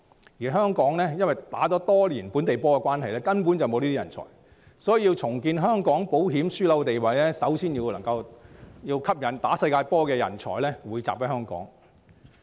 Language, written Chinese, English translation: Cantonese, 由於香港打了多年"本地波"，根本缺乏這類人才，所以要重建香港保險樞紐的地位，首先要吸引能夠打"世界波"的人才匯集香港。, Since Hong Kong has been focusing its attention locally for many years we lack such talents . Therefore first of all we need to attract the right talents to come here in order to rebuild the status of Hong Kong as an insurance hub